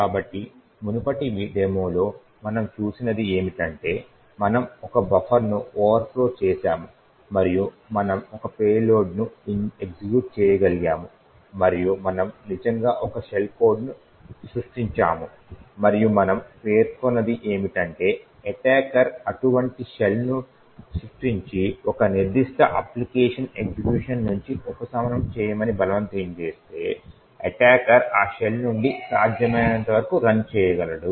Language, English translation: Telugu, So in the previous demo what we have seen is that we overflowed a buffer and we were able to execute a payload and we actually created a shell and what we mentioned is that if an attacker creates such a shell forcing a particular application to be subverted from its execution, the attacker would be able to run whatever is possible from that shell